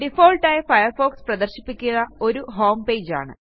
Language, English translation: Malayalam, By default, Firefox displays a homepage